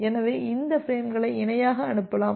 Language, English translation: Tamil, So that means, you can send this frames in parallel